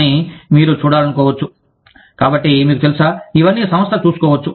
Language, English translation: Telugu, But, you may want to see, and so you know, all of this is taken care of, by the organization